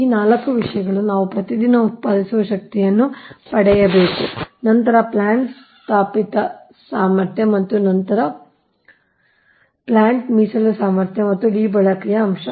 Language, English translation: Kannada, this four things we have to obtain daily energy produced, then installed capacity of plant, then reserve capacity of plant and d utilization factor right